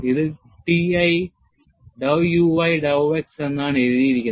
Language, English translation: Malayalam, It is, it was written as T i dow u i dow x